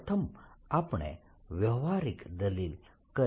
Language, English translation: Gujarati, first, let's we physical argument